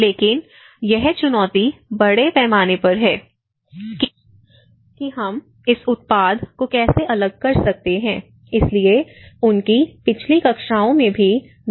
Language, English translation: Hindi, But the challenge is to bring in much bigger scale how we can diffuse this product so, in his previous classes also Dr